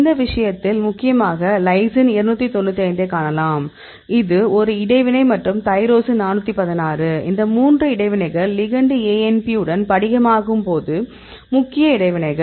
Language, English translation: Tamil, So, in this case you can see the interactions mainly the lysine 295 this is a interactions and tyrosine 416; those three interactions are main interactions when this co crystallize with the ligand ANP